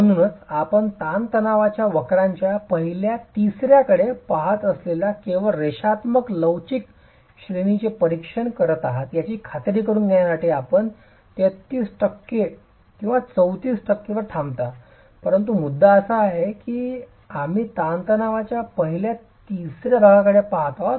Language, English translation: Marathi, So to be sure you are examining only the linear elastic range, you are looking at the first third of the stress strain curve and therefore you stop at 33 percent, not 34 percent, but the point is you are looking at first third of the stress strain curve